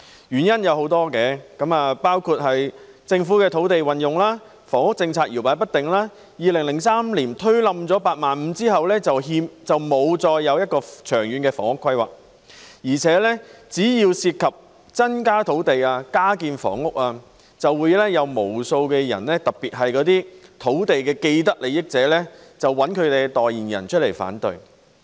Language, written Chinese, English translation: Cantonese, 原因有多個，包括政府的土地運用、房屋政策搖擺不定 ，2003 年推倒"八萬五"後再沒有作出長遠的房屋規劃，而且只要涉及增加土地、加建房屋，便會有無數的人，特別是土地既得利益者，找來代言人提出反對。, This is attributable to a number of reasons including the Governments use of land wavering housing policy lack of long - term housing plans after the abolition of the target of building 85 000 flats annually in 2003 . Moreover whenever there is any plan to increase land and housing supply many people especially those with vested interests in land will find spokespersons to raise objections . Take reclamation as an example